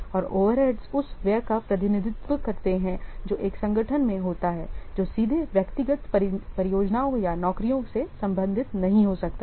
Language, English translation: Hindi, These cost represent the expenditure that an organization incurs which cannot be directly related to individual projects or jobs